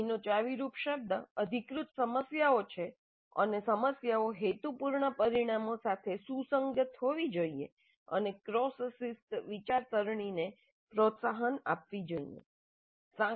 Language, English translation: Gujarati, The key word here is authentic problems and problems must be compatible with the intended outcomes and encourage cross discipline thinking